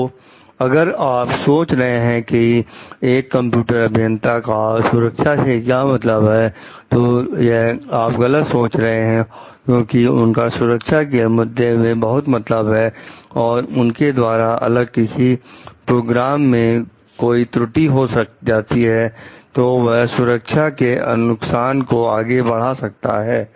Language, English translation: Hindi, So, if you are thinking like the computer engineers are not concerned with the safety issues that is not the right way to think, because they are very much concerned with the safety issues and because the any errors committed by them in the program may lead to further like escalate the safety like hazards